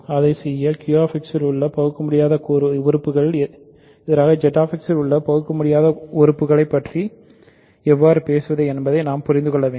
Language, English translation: Tamil, In order to do that we need to understand how to talk about irreducible elements in Z X versus irreducible elements in Q X